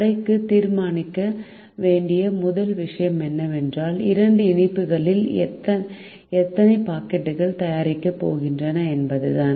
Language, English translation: Tamil, the first thing that the shop has to decide is how many packets of the two sweets that are going to be made